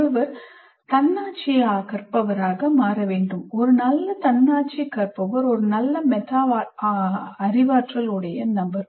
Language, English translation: Tamil, A good autonomous learner is also a good metacognitive person